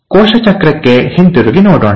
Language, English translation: Kannada, So let us go to the cell cycle